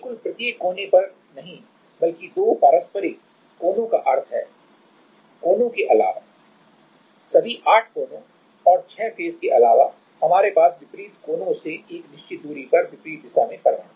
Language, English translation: Hindi, Not at exactly each corner rather two reciprocal corners means other than the corners, other than all the eight corners and six faces also we have atom at the opposite at a certain distance from the opposite corners